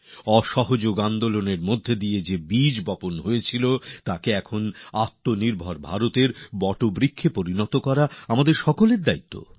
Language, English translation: Bengali, A seed that was sown in the form of the Noncooperation movement, it is now the responsibility of all of us to transform it into banyan tree of selfreliant India